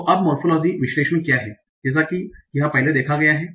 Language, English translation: Hindi, So now what is morphological analysis